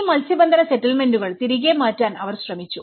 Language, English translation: Malayalam, And they have tried to move back all these fishing settlements